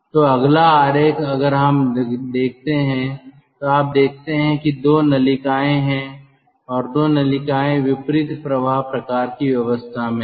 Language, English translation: Hindi, so next figure, if we see, then you see there are two ducts and two ducts are in the counter flow kind of arrangement